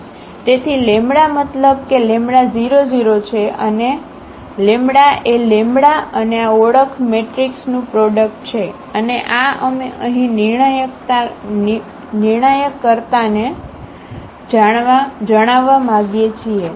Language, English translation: Gujarati, So, lambda I means the lambda 0 0 and the lambda that is the product of lambda and this identity matrix and this we want to solve know the determinant here